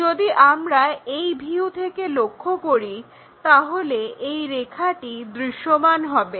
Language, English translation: Bengali, When we are looking from this view, the back side line we cannot really see